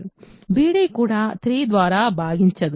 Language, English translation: Telugu, b d itself is not divisible by 3